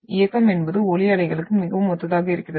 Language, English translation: Tamil, So the movement it is like what the motion is very much similar to the sound waves